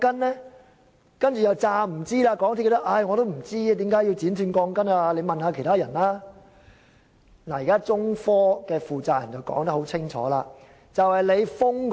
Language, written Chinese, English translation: Cantonese, 在港鐵公司推說不知道為何要剪短鋼筋後，現在中科負責人說得清清楚楚。, While MTRCL said it could not explain why steel bars were cut the person - in - charge of China Technology gave us a clear explanation